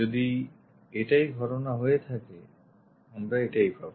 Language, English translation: Bengali, If that is the case, we will be having this one